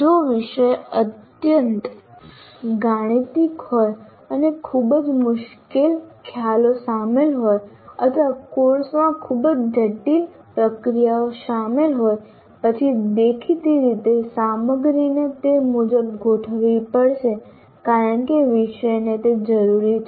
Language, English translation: Gujarati, If the subject is highly mathematical and also very difficult concepts are involved or very complex procedures are involved in the course, then obviously the content will have to be accordingly adjusted not because the subject requires that